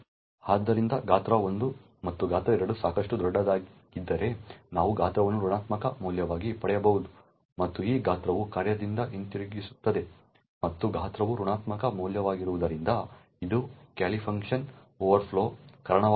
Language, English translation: Kannada, Therefore if size 1 and size 2 is large enough we may actually obtain size to be a negative value this size is what is returned by the function and since size can be a negative value it could result in an overflow in the callee function